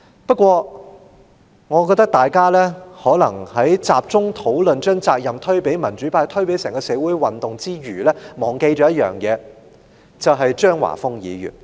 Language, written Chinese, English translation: Cantonese, 不過，我認為大家在集中討論把責任推給民主派、推給整個社會運動之餘，可能忘記了一點，就是張華峰議員的表現。, But I think when we focus on putting the blame on the democrats and on the entire social movement in the debate we may have neglected one thing that is the performance of Mr Christopher CHEUNG